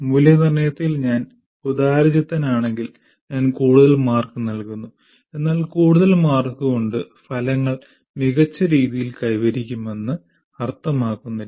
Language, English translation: Malayalam, If I am strict or liberal with that, I am giving more marks, but more marks doesn't mean that I have attained my outcome